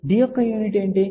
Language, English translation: Telugu, What was the unit of D